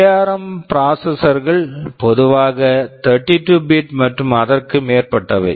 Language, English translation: Tamil, But ARM processors are typically 32 bit and above